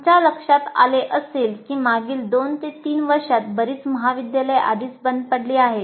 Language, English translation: Marathi, As you would have noticed that in the last two, three years, large number of colleges got already closed